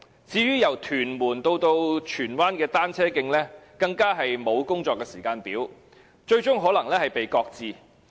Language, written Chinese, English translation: Cantonese, 至於由屯門至荃灣的單車徑，更沒有工作時間表，最終可能擱置。, As regards the section between Tuen Mun and Tsuen Wan there is no works timetable and it may eventually be shelved